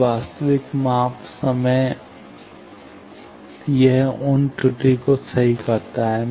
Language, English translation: Hindi, So, actual measurement time it can correct that for those error